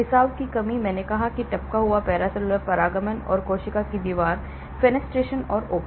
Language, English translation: Hindi, lack of leaky; like I said lack of leaky paracellular permeation and capillary wall fenestration; openings